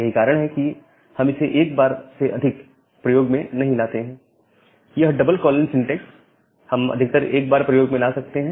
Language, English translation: Hindi, So, that is why we cannot use it more than once, this double colons syntax we can use at most one